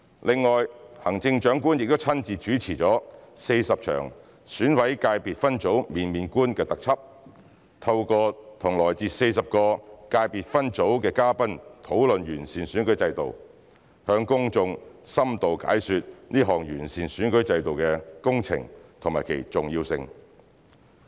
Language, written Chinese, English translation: Cantonese, 另外，行政長官亦親自主持了40場《選委界別分組面面觀》特輯，透過與來自40個界別分組的嘉賓討論完善選舉制度，向公眾深度解說這項完善選舉制度工程和其重要性。, Moreover the Chief Executive has personally hosted a 40 - episode special programme entitled Get to Know the Election Committee Subsectors . In the programme the Chief Executive discusses the improvement to the electoral system with guests from the 40 subsectors to give the public an in - depth explanation about this improvement exercise and its importance